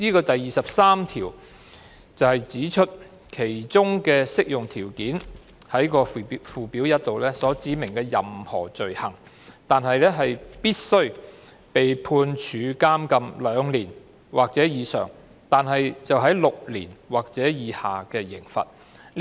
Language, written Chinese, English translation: Cantonese, 第23條指出，其中的適用條件是附表1所指明的任何罪行，但必須為被判處監禁兩年或以上及為6年或以下的刑罰。, Section 23 stipulates that the Ordinance only applies to offences specified in Schedule 1 for which a sentence of imprisonment of two years or more but less than six years is imposed